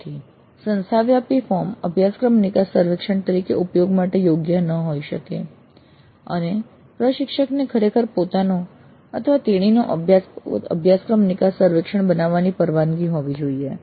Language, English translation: Gujarati, So the institute wide form may not be suitable for use as a course exit survey and the instructor should be really allowed to have his own or her own course exit survey form